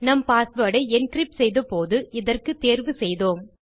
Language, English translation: Tamil, We get to choose this when we encrypt our password